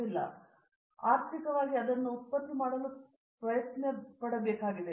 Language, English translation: Kannada, Okay But to economically produce it has to be done